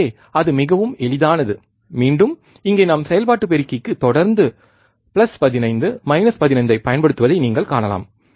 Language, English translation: Tamil, So, it is very easy again you see here we are constantly applying plus 15 minus 15 to the operational amplifier